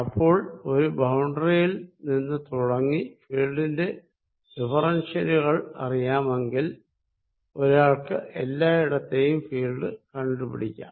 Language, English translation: Malayalam, So, starting from a boundary, one can find field everywhere else if differentials of the field are known